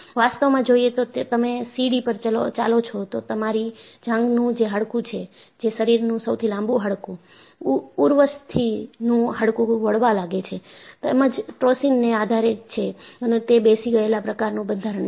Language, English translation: Gujarati, Actually, if you walk in stairs, your thigh bone is the longest bone in the body; femur bone is subjected to bending, as well as torsion and, is a hollow structure